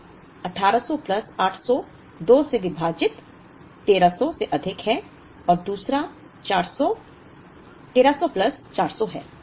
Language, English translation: Hindi, So, 1800 plus 800 divided by 2 is 1300 plus another 400 so, 1300 plus 400